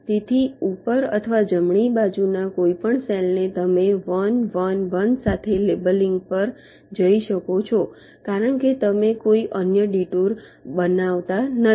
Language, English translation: Gujarati, so any cell to the top or right, you can go on labeling with one one one, because you are not making any other detour